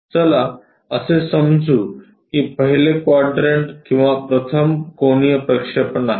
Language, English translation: Marathi, Let us assume that is a first quadrant or first angle projection